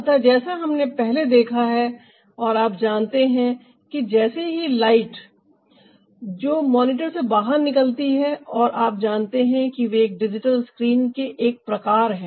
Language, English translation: Hindi, so, as we have seen earlier, that ah you know as ah the light that gets released from the monitor, from ah, you know those kind of a digital screen, ah